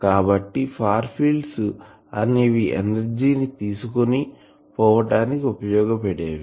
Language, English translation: Telugu, So, far fields are the vehicle for transportation of energy